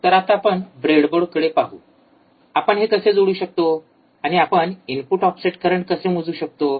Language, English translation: Marathi, So, let us see now on the breadboard, how we can connect this and how we can measure the input offset current all right